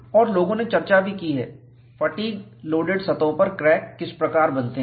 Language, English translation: Hindi, And, people also have discussed, how cracks do get form on the surfaces of fatigue loaded specimens